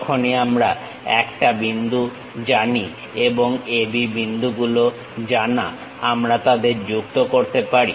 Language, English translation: Bengali, Once we know 1 point and AB points are known we can join them